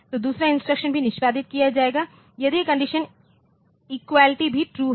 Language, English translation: Hindi, So, second instruction will also be executed if that condition equality was true at this point